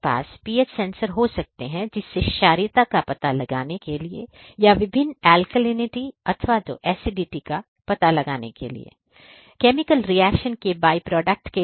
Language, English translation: Hindi, So, you could have the pH sensors; detect the alkalinity, alkalinity or the acidity of the different products or the byproducts in the chemical reaction